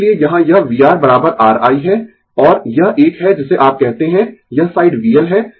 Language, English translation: Hindi, That is why here it is V R is equal to R I, and this one is what you call this side is V L